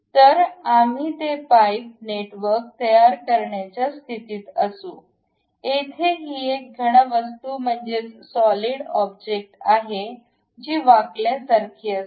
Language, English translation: Marathi, So, we will be in a position to construct that pipe network; here it is a solid object it is more like a bent